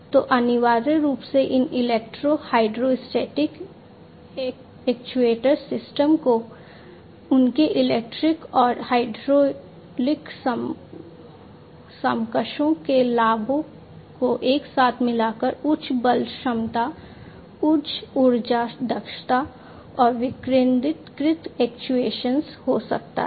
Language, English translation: Hindi, So, essentially these electro hydrostatic actuation systems by combining the advantages of their electric and hydraulic counterparts together can have higher force capability, higher energy efficiency and decentralized actuation